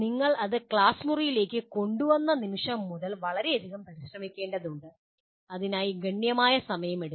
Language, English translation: Malayalam, And the moment you bring that into the classroom, it is going to take considerable effort, considerable time for that